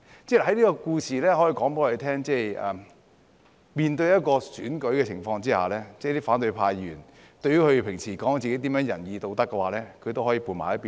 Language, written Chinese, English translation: Cantonese, 這個故事告訴我們，在面對選舉的情況，即使反對派議員平時說自己多麼仁義道德，他們也可以撥到一旁。, This story tells us that even though the opposition Members always claim that they uphold virtue and morality so much they can still put them aside in the face of an election